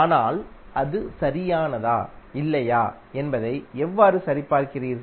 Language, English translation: Tamil, But how you will verify whether it is correct or not